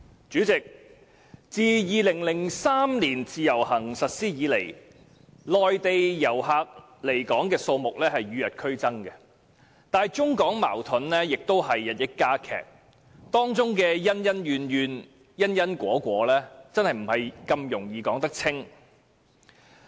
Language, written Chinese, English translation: Cantonese, 主席，自2003年自由行實施以來，內地來港旅客的數目與日俱增，而中港矛盾也日益加劇，當中的恩恩怨怨，因因果果，實不易說清。, President since the implementation of the Individual Visit Scheme in 2003 the number of Mainland visitor arrivals has been on the rise and the China - Hong Kong conflicts have also been intensified . The resentment and grievances involved as well as the causes and effects cannot be clearly accounted for